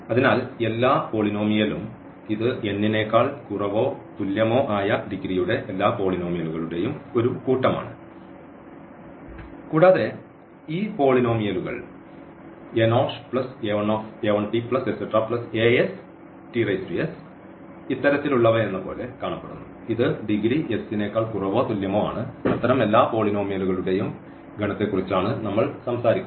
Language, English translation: Malayalam, So, all polynomial this is a set of all polynomials of degree less than or equal to n and how these polynomials look like they are of this kind a 0 plus a 1 t plus a 2 t plus and so on a s t power s and this s is less than or equal to n because we are talking about the set of all such polynomials